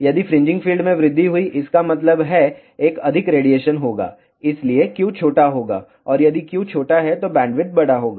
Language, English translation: Hindi, If fringing fields increased; that means, there will be a more radiation and hence q will be small and if q is small bandwidth will be a large